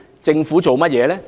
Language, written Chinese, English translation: Cantonese, 政府做了甚麼呢？, What has the Government done?